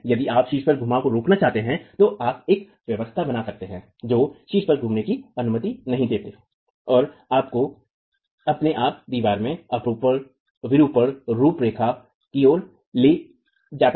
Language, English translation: Hindi, If you want to prevent the rotations at the top then you can create a setup which does not allow rotations at the top and takes you towards a shear deformation profile of the wall itself